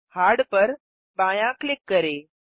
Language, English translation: Hindi, Left click Hard